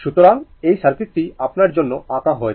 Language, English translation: Bengali, So, this circuit is drawn for you